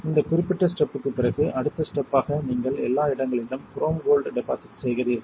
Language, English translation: Tamil, After this particular step the next step is you deposit chrome gold everywhere